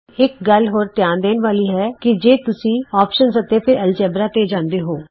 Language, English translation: Punjabi, One more thing to note is if you go to options and Algebra